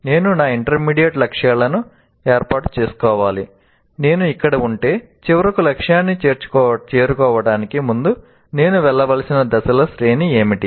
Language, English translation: Telugu, So I need to set up my intermediate goals if I am here what are this series of steps that I need to go through before I can finally reach the target